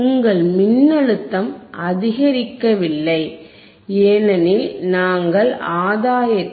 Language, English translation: Tamil, Why yYour voltage is not increasing, but the point is here because we have set the gain of 0